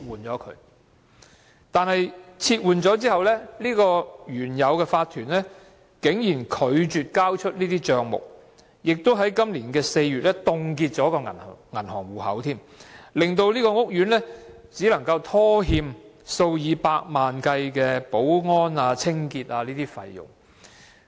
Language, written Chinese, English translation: Cantonese, 然而，該法團被撤換後，竟然拒絕交出帳目，更在今年4月凍結了銀行戶口，令屋苑只可拖欠數以百萬元計的保安及清潔費用。, Yet after the removal the OC refused to hand over the account books to the new OC . In April this year it even froze the bank account causing the estate to default on payment for security and cleaning service charges of a few million dollars